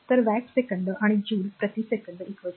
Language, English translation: Marathi, So, this much of watt second and joule per second is equal to watt